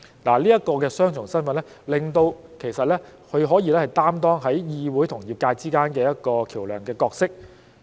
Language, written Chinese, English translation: Cantonese, 這一個雙重身份，其實令她可以在議會與業界之間擔當一個橋樑的角色。, This dual role actually allows her to act as a bridge between the legislature and the profession